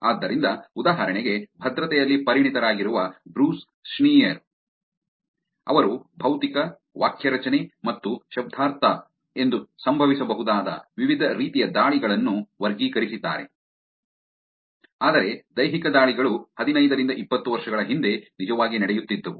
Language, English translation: Kannada, So, for example, Bruce Schneier who is supposed to be a expert in security classified the different types of attacks that could happen as physical, syntactic and semantic, but physical attacks are the were happening like 15 20 years before where the attackers would actually get physical access to the machine